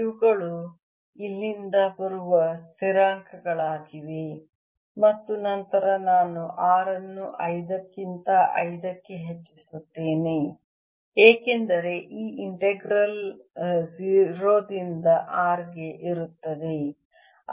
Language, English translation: Kannada, this are the constant is coming from here, and then i have r raise to five over five, because this integral is from zero to r